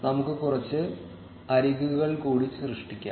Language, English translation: Malayalam, Let us create some more edges